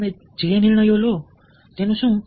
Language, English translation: Gujarati, what about the decisions you take